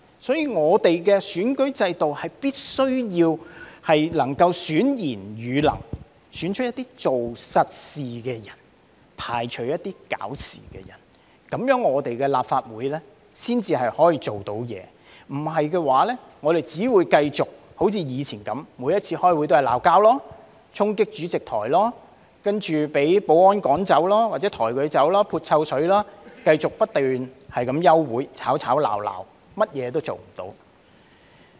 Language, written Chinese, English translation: Cantonese, 因此，立法會的選舉制度必須能夠選賢與能，選出一些做實事的人，排除一些搞事的人，立法會才可以履行職責，否則我們只會繼續像以往般，每次開會也是吵架、衝擊主席台，接着被保安趕走或抬走、潑臭水，繼續不斷休會，吵吵鬧鬧，甚麼也做不到。, To this end the electoral system of the Legislative Council must be able to choose virtuous and capable people . It must be able to choose people who do solid work and exclude trouble - makers and only in this way can the Legislative Council perform its duties . Otherwise what happened in the past will keep recurring and during every meeting there will be quarrels and people charging the President Podium and then being expelled or taken away people hurling stinking liquid and meetings being suspended over and over again with endless bickering but nothing being done